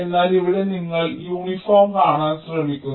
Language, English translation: Malayalam, ok, but here we are trying to meet the uniform and a ah